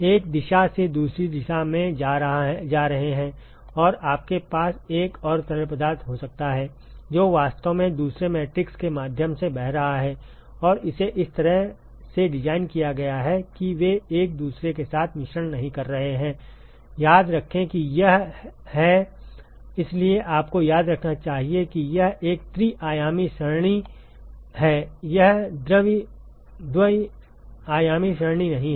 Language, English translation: Hindi, Going from one direction to the other direction and you can have another fluid which is actually flowing through the other matrix and it is designed in such a way that they are not mixing with each other remember that it is; so you must remember that it is a three dimensional array it is not a two dimensional array